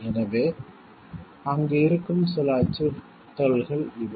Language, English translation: Tamil, So, these are some of the threats that which are there